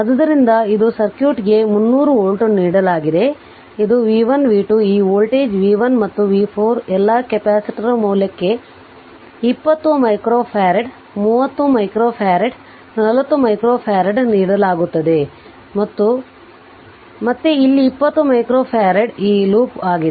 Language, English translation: Kannada, So, this is a circuit is given 300 volt this is v 1 v 2 this voltage is v 3 and v 4 all the capacitor value are given 20 micro farad, 30 micro farad, 40 micro farad and again here it is 20 micro farad right these loop